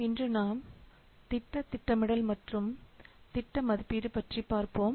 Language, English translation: Tamil, Today we will discuss about a little bit of project planning and basics of project estimation